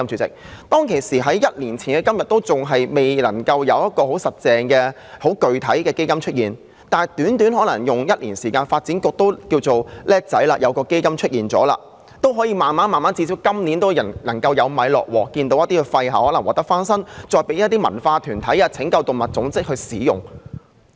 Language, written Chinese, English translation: Cantonese, 儘管在1年前仍未有很具體的安排，但短短1年之間，發展局便成立了一個基金，最低限度今年已略有所成，令一些廢置校舍得以翻新，以供一些文化團體或拯救動物組織使用。, Notwithstanding that no concrete arrangement was available a year ago the Development Bureau had set up a fund shortly within one year and there are at least small achievements in current year which enable some abandoned school premises to be renovated for use by cultural bodies or animal rescue organizations